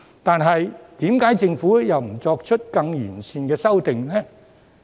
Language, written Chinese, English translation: Cantonese, 但是，為何政府又不作出更完善的修訂呢？, So why did the Government not put forward a better drafted amendment?